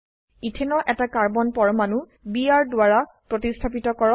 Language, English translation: Assamese, Replace one Carbon atom of Ethane with Br